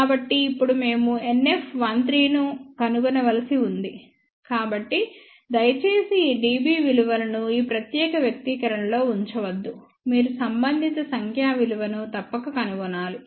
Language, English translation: Telugu, So, now we have to find out NF 1 3, so please do not keep all these dB values in this particular expression, you must find out the corresponding numeric value